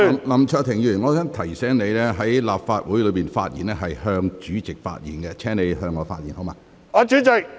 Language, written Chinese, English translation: Cantonese, 林卓廷議員，我想提醒你，在立法會會議上發言時必須面向主席。, Mr LAM Cheuk - ting I would like to remind you that Members shall face the President when they speak at meetings of the Legislative Council